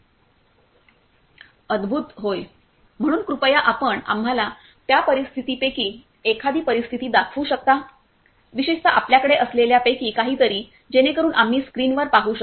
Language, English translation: Marathi, Wonderful yes, so could you please take us through one of the scenarios yes particularly something that you have, so we can see on the screen